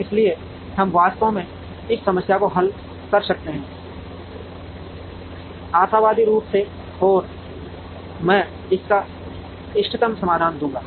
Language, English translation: Hindi, So, we can actually solve this problem, optimally and I will give the optimum solution to it